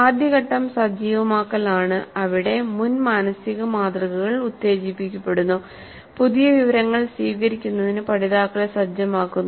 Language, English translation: Malayalam, So the first phase is activation where the prior mental models are invoked, preparing the learners to receive the new information